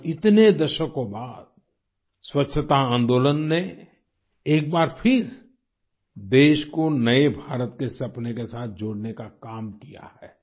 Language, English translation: Hindi, Today after so many decades, the cleanliness movement has once again connected the country to the dream of a new India